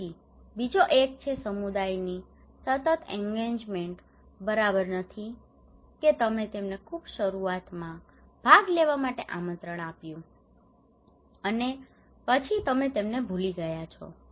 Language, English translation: Gujarati, Then another one is that continued engagement of the community okay it is not that you asked them invited them to participate in the very beginning and then you forgot them